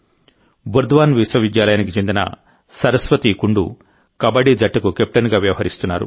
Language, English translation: Telugu, Similarly, Saraswati Kundu of Burdwan University is the captain of her Kabaddi team